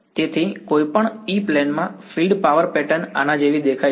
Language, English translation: Gujarati, So, in any E plane this is what the field power pattern looks like